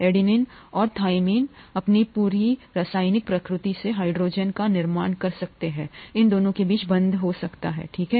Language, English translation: Hindi, Adenine and thymine by their very nature, by the very chemical nature can form hydrogen bonds between these two, okay